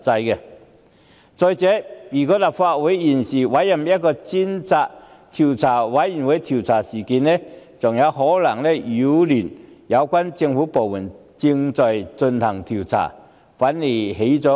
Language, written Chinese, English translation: Cantonese, 如果立法會現時委任專責委員會調查事件，更可能擾亂相關政府部門正在進行的調查，反而適得其反。, Appointing a select committee to inquire into the matter at this stage is counterproducitve as it may disrupt the ongoing inquiries conducted by the authorities